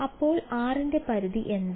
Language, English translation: Malayalam, So, what is its limit as r is equal to 0